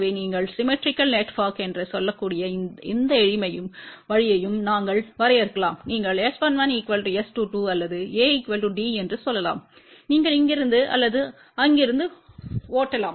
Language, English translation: Tamil, So, we can define either way you can say for symmetrical network you can say S 11 is equal to S 22 or A is equal to D you can drive either from here or from there